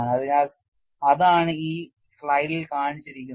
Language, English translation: Malayalam, So, that is what is shown in this slide